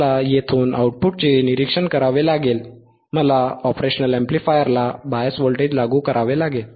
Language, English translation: Marathi, I hadve to observe the output from here, right I hadve to apply the bias voltage across the across the operation amplifier alright